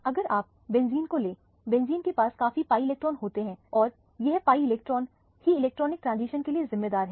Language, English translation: Hindi, If you take benzene, benzene has a lot of pi electrons and this pi electrons are the one that is responsible for the electronic transition